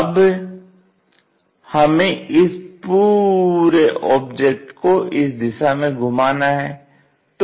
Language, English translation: Hindi, Now, what we want to do is rotate this entire object in this direction